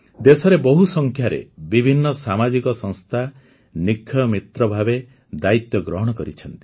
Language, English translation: Odia, A large number of varied social organizations have become Nikshay Mitra in the country